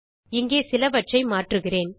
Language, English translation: Tamil, Let me change a few things here